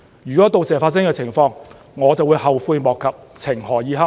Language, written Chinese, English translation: Cantonese, 如果到時發生這樣的情況，我就會後悔莫及，情何以堪。, If this happens one day I will very much regret it and feel bad